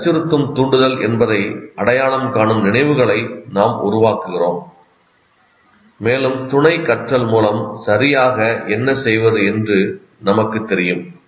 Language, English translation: Tamil, And by our, we build memories which identify that it is a threatening stimulus and through associative learning, we know what exactly to do